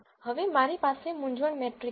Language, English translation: Gujarati, Now, I have the confusion matrix below